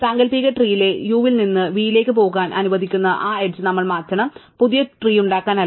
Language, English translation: Malayalam, We must replace that edge which allows us to go from u to v in the hypothetical tree, not at to make the new tree